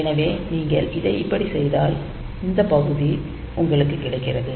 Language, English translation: Tamil, So, in case of if you do it like this then what happens is that you have got this part